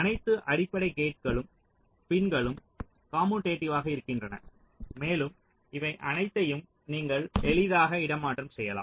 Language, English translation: Tamil, for all the basic gates, the pins are all commutative and you can easily swap all of them, right